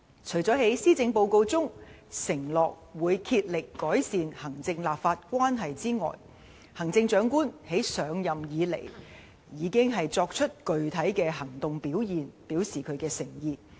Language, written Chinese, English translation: Cantonese, 除了在施政報告中承諾會竭力改善行政立法關係外，行政長官自上任以來已經作出具體行動表示她的誠意。, In addition to pledging strenuous effort to improve executive - legislature relationship in the Policy Address the Chief Executive has taken concrete action to show her sincerity since assuming office